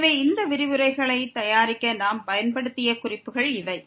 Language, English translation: Tamil, So, these are references we have used to prepare these lectures